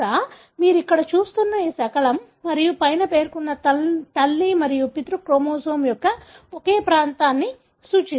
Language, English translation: Telugu, Perhaps this fragment that you are seeing here and the one above that represent the same region of the maternal and paternal chromosome